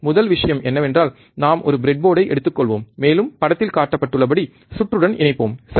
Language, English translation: Tamil, First thing is we will take a breadboard and we will connect the circuit as shown in figure, right